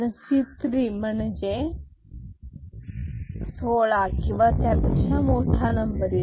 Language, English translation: Marathi, Because, that is C 3 means the number is 16 or more S 3 S 2